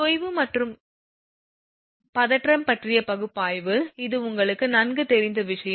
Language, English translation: Tamil, Analysis of sag and tension this is this is quite known thing to you